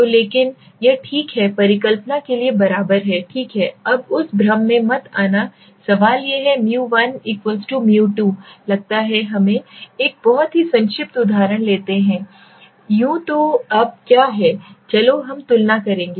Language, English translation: Hindi, So but equal to is sure for in the null hypothesis it is okay, never get into that confusion so now the question is 1= 2 suppose let us take a very brief example so let u take now what is happening we will compare